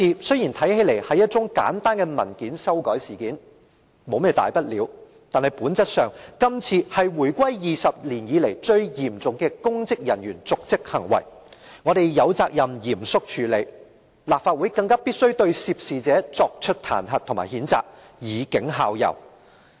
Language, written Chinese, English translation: Cantonese, 雖然看來這是一宗簡單的文件修改事件，沒有甚麼大不了，但本質上，今次是回歸20年以來最嚴重的公職人員瀆職行為，我們有責任嚴謹處理，立法會更必須對涉事者作出彈劾和譴責，以儆效尤。, Although it seems that the case merely involves an amendment of a paper with no significance it is by nature the most serious dereliction of duty on the part of a public officer in the last two decades after the reunification . We are duty - bound to handle this matter with solemnity and the Legislative Council must impeach and reprove the perpetrators to serve as a warning to others